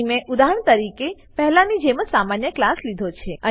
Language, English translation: Gujarati, Here I have taken the same class as before as an example